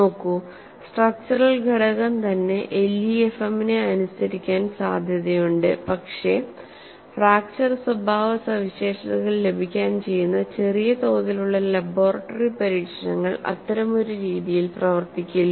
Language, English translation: Malayalam, See the structural component itself would likely to obey LEFM but, the small scale laboratory experiments needed to provide the fracture properties, would not behave in such a fashion